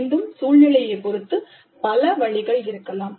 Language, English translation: Tamil, Again, depending upon the situation, there can be several options